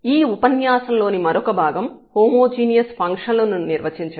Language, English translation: Telugu, So, another part of this lecture is to define the homogeneous functions